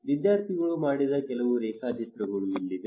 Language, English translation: Kannada, Here some of the sketches done by the students